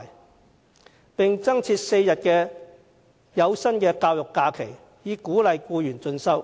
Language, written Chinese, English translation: Cantonese, 此外，政府應增設4天有薪教育假期，以鼓勵僱員進修。, Furthermore the Government should provide an additional four - day paid education leave to encourage employees to pursue further studies